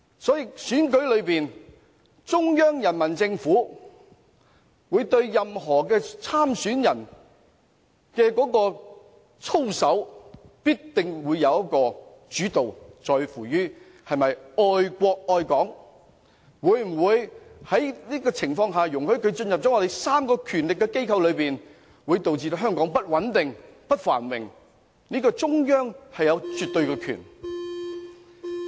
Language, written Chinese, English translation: Cantonese, 在特首選舉中，中央人民政府對所有候選人的操守必須保持主導，在乎他們是否愛國愛港，或會否因其進入權力機關而令香港變得不穩定、不繁榮；在這方面，中央有絕對權力。, In this Chief Executive Election the Central Peoples Government must have a say regarding the conduct of all candidates it matters greatly whether the candidates love the country and Hong Kong or whether Hong Kongs stability and prosperity will be affected after a candidate has entered the ruling regime . The Central Authorities absolutely have the power in this regard